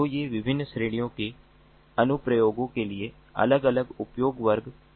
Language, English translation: Hindi, so these are the different usage classes corresponding to different categories of applications